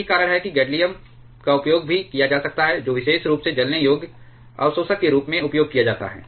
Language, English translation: Hindi, That is why gadolinium can also be used that is particularly used as burnable absorbers